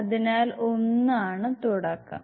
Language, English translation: Malayalam, So, one is a beginning